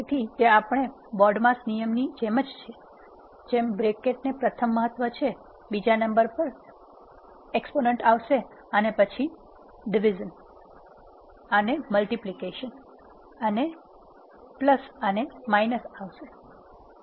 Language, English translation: Gujarati, So, it is similar to our normal BODMAS rule with bracket has the first importance exponent has the second priority and followed by division, multiplication, addition and subtraction